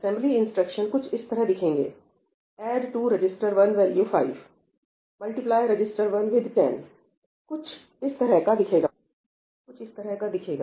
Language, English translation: Hindi, So, what are the actual assembly instructions, the assembly instructions will look something like this: ‘add to register 1 the value 5’, ‘multiply register 1 with 10’ something of this sort, right